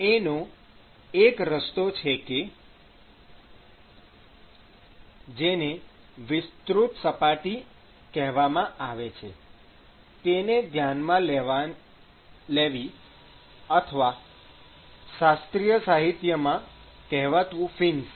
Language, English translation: Gujarati, So, one way to do that is what is called the extended surfaces or in classical literature it is also called as fins